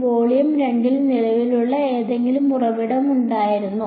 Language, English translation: Malayalam, In volume 2, was there any current source